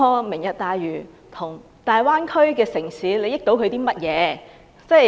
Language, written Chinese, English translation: Cantonese, "明日大嶼"如何令大灣區的城市受惠？, How can Lantau Tomorrow benefit the cities in the Greater Bay Area?